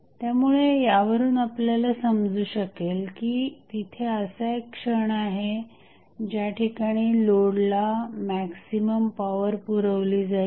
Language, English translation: Marathi, So, from this you can understand that there is 1 instance at which the maximum power would be supplied to the load